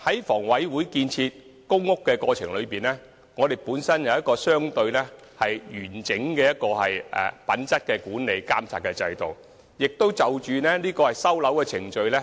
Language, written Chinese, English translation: Cantonese, 房委會在建屋期間，設有一個相對完整的品質管理及監察制度，並會不時檢討收樓程序。, In respect of housing development HA has established a rather comprehensive mechanism for quality management and monitoring and it will from time to time review the handover procedures